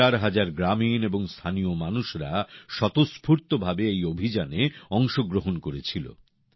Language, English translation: Bengali, Thousands of villagers and local people spontaneously volunteered to join this campaign